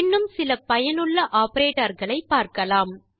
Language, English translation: Tamil, Now, lets learn about a few other useful operators